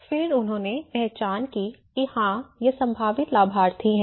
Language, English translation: Hindi, And then they identified, yes these are the potential beneficiaries